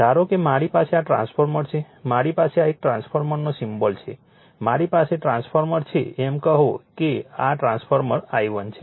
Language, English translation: Gujarati, Suppose I have this suppose I have this transformer I have that this is a transformer symbol I have the transformer say this is my current I 1, right